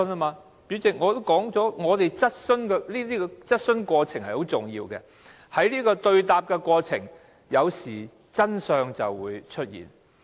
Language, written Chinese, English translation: Cantonese, 代理主席，我已經說過質詢的過程十分重要，因為在一問一答的過程中，有時候真相便會出現。, Deputy President as I have said the process of raising questions is essential as the truth will sometimes be uncovered in the question - and - answer process